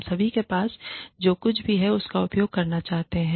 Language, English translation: Hindi, We all want to use, whatever we have